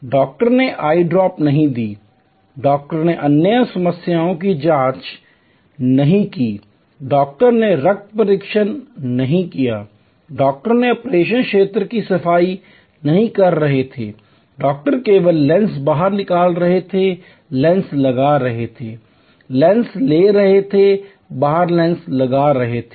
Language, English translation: Hindi, The doctor did not give eye drops, the doctor did not check for other problems, the doctor did not do the blood test, the doctor was not cleaning the operation area, the doctor was only doing take lens out, put lens in, take lens out, put lens in